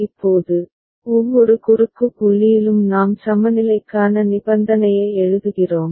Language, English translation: Tamil, Now, at every cross point we shall be writing the condition for equivalence